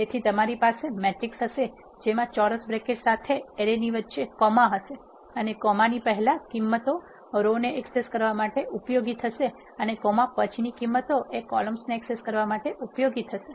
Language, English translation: Gujarati, So, you will have a matrix and followed by a square bracket with a comma in between array and values before the comma is used to access rows and array or value that is after comma is used to access columns